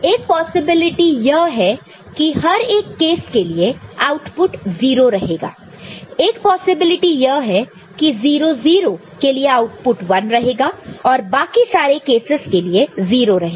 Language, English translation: Hindi, One possibility is that for each of this case the output is 0; one possibility is that only for 0 0 the output is 1 and rest of the cases it is 0